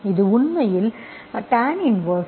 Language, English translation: Tamil, This is actually tan inverse V equal to log x plus C